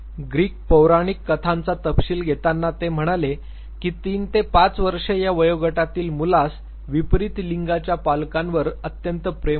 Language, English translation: Marathi, Deriving from the Greek mythological details, he said that child between the age of 3 and 5, develops extreme degree of love for the parent of the opposite sex